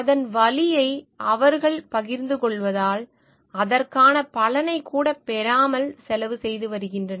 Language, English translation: Tamil, Because they are sharing the pain part of it, they are paying a cost without even getting a benefits of it